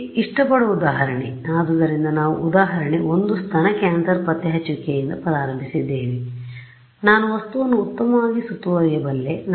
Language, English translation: Kannada, An example where like here; so, we started with example 1 breast cancer detection, I could surround the object very good